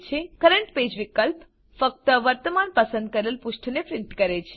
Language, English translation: Gujarati, Current page option prints only the current selected page